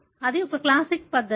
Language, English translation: Telugu, That is a classic method